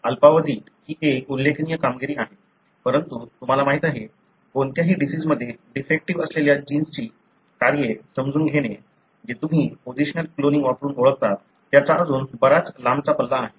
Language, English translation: Marathi, It is a remarkable achievement in short time, but, you know, still, you know, understanding the functions of the gene that are defective in any disease that you identify using positional cloning, that is still a long way to go